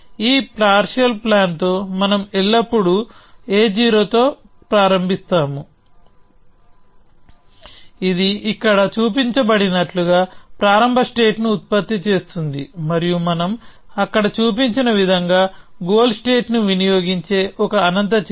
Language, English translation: Telugu, So, what we are saying is that we will start with a partial plan; we will start with this partial plan always an action a 0 which produces the start state as it is showed here and an action a infinity which consumes the goal state as we have shown there